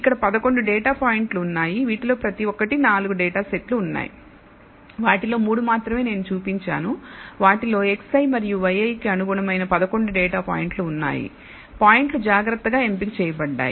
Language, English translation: Telugu, Here there are 11 data points for each of this there are 4 data set I have only shown 3 of them, each of them contains exactly 11 data points corresponding to x i and y i these points have been carefully selected